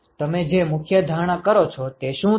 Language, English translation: Gujarati, What is the key assumption that you make